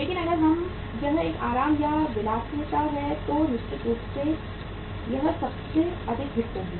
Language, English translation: Hindi, But if it is a comfort or luxury certainly it will be most hit